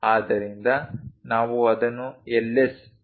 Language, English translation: Kannada, So, we represent it by Ls